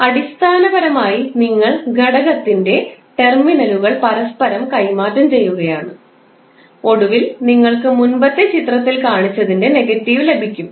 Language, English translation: Malayalam, So, basically you are interchanging the terminals of the element and you eventually get the negative of what we have shown in the previous figure